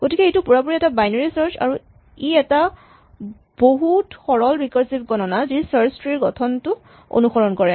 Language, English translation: Assamese, So, this is exactly a binary search and it is a very simple recursive thing which exactly follows a structure of a search tree